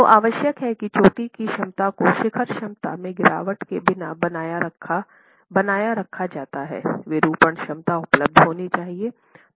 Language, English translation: Hindi, Without losing, so what is essential is the peak capacity is retained without drop in the peak capacity, deformation capacity should be available